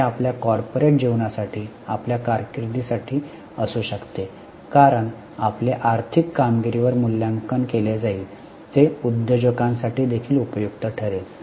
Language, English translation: Marathi, It can be for your corporate life for your career because you will be evaluated on financial performance